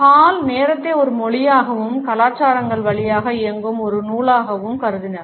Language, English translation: Tamil, Hall has treated time as a language, as a thread which runs through cultures